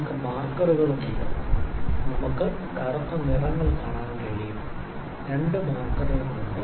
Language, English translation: Malayalam, So, also we have the markers, we can see in the black colors, there are two markers